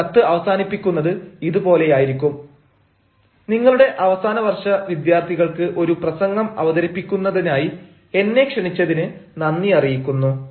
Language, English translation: Malayalam, this is the way you are going to end the letter: thanks for the invitation to deliver a talk to your final year students